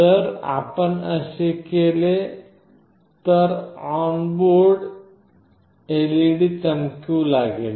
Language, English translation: Marathi, If we do something like this the on board led will start glowing